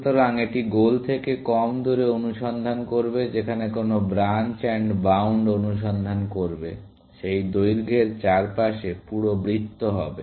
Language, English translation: Bengali, So, it will search less away from the goal, whereas, what branch and bound would search, would have been full circle around of that length